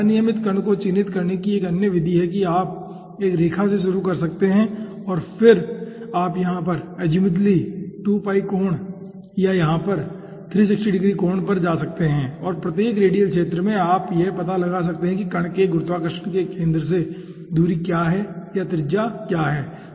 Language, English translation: Hindi, another method for characterizing irregular particle is you can start from a line and then you can go azimuthally 2 pi angle over here, or rather 360 degree angle over here, and at every radial sector you find out what is the distance or what is the radius of the particle, starting from the centre of gravity, okay